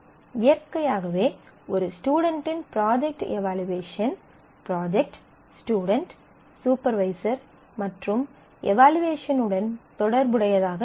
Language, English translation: Tamil, So, naturally the evaluation of a student will be dependent on the project, the student and the supervisor and that will relate to the evaluation